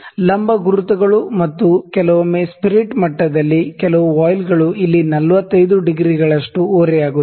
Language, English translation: Kannada, Vertical markings, and sometime a few voiles in the spirit level also at 45 degree here